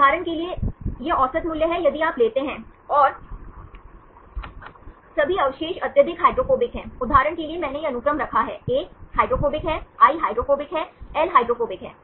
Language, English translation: Hindi, For example, this is the average value if you take, and all the residues are highly hydrophobic, For example, I put this sequence, A is hydrophobic, I is hydrophobic, L is hydrophobic